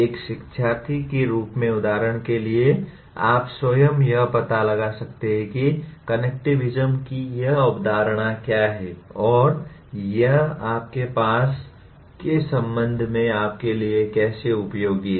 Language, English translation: Hindi, for example as a learner, you yourself can explore what is this concept of connectivism and how it is going to be useful to you with respect to your subject